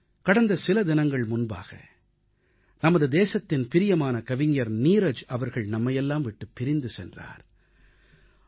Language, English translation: Tamil, A few days ago, the country's beloved poet Neeraj Ji left us forever